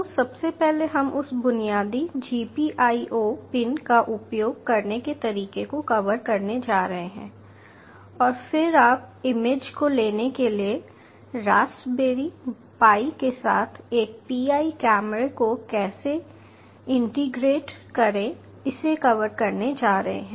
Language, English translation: Hindi, so first of all, ah, we are going to cover how to use that basic gpio pins and then you are going to cover, ah, how to integrate a pi camera with the raspberry pi for taking images